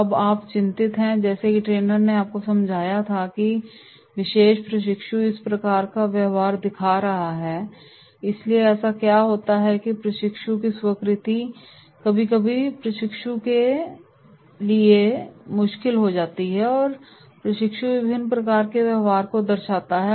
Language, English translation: Hindi, Now, you are worried, as the trainer you understood that this particular trainee showing this type of the behaviour, so therefore what happens it is the acceptance of the trainers sometimes that becomes difficult for the trainee and the trainee shows different type of behaviour